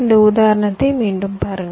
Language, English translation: Tamil, look at this example again